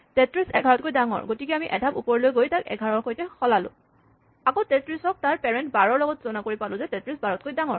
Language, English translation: Assamese, Now, 33 being bigger than 11 we have to walk up and swap it then again we compare 33 and its parent 12 and we notice that 33 is bigger than 12